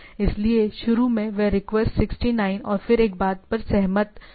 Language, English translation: Hindi, So, initially that request 69 and then agreed upon a thing